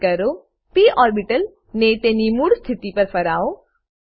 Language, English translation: Gujarati, Rotate the p orbital to original position